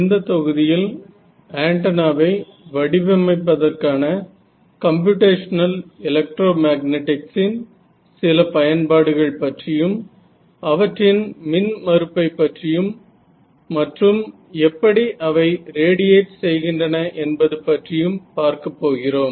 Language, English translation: Tamil, So, in this module we are going to look at some Applications of Computational Electromagnetics to modeling Antennas what is their impedance, how do they radiate